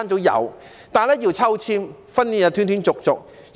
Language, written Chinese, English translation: Cantonese, 有，但是要抽籤，而且訓練是斷斷續續的。, Yes but places of these classes are allocated by balloting and training is intermittent